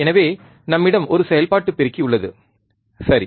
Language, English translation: Tamil, So, we have a operational amplifier here, right